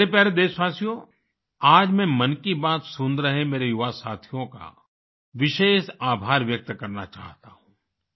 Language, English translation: Hindi, My dear countrymen, today I wish to express my special thanks to my young friends tuned in to Mann ki Baat